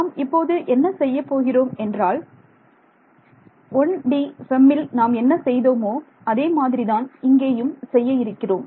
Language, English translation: Tamil, So, what we will do is going to be very similar to what we did in the case of a 1D FEM